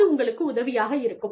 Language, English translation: Tamil, And, this will help you